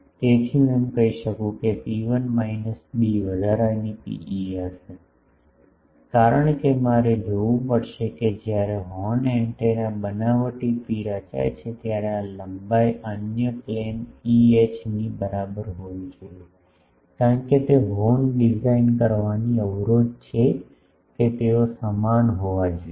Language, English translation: Gujarati, So, I can say that rho 1 minus b extra will be P e, because I will have to see that when a horn actually is fabricated the P the physical this length should be equal to in the other plane EH, because that is the constraint for designing a horn that physically they should be same